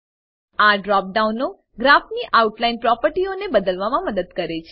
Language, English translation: Gujarati, These drop downs help to change the outline properties of the Graph